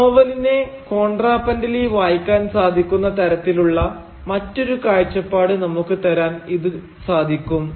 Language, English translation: Malayalam, And, therefore, this can give us that alternative perspective from which we can have a contrapuntal reading of the novel itself